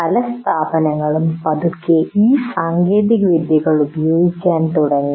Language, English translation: Malayalam, And many institutes are slowly started using these technologies